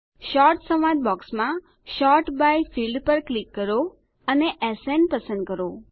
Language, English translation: Gujarati, In the Sort dialog box that appears, click the Sort by byfield and select SN